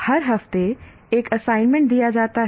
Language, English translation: Hindi, And an assignment every week